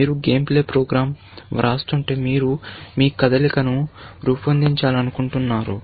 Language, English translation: Telugu, If you are writing a game playing program, you would like to generate your moves